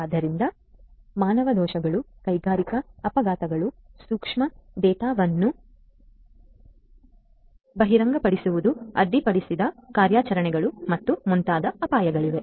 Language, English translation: Kannada, So, human errors, there are risks of industrial accidents, disclosure of sensitive data, interrupted operations and so on